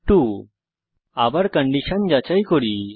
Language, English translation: Bengali, We check the condition again